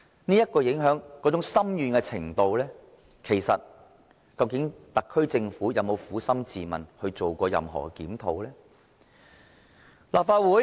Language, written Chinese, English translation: Cantonese, 對於這種影響深遠的程度，究竟特區政府有否撫心自問，做過任何檢討呢？, With regards to these far - reaching impacts has the SAR Government searched its soul and done any review?